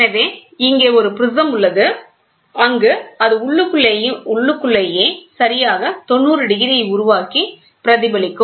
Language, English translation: Tamil, So, here is a prism where it can internally reflect and create exactly 90 degrees